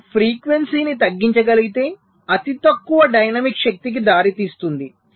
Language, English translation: Telugu, so if you can reduce the frequency, that will also result in less dynamics power